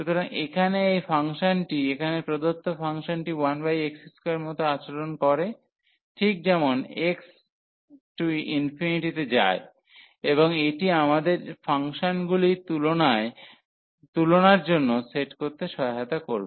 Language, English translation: Bengali, So, this function here the given function the integrand is behaving as 1 over x square behaves as x goes to infinity and that will help us to set the functions for comparison